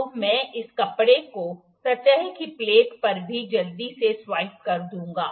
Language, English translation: Hindi, So, I will just swipe quickly this cloth over the surface plate as well